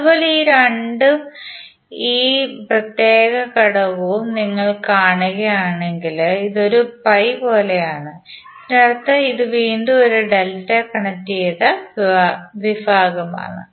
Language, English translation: Malayalam, Similarly if you see these 2 and this particular element, it is like a pi, means this is again a delta connected section